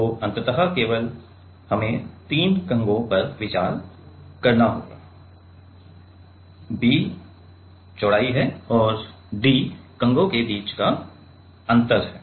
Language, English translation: Hindi, So, ultimately we have to consider only 3 combs right B is the breadth and D is the gap between the; gap between the combs right